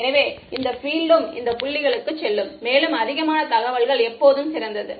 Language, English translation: Tamil, So, this field will also go back to these points, more information is always better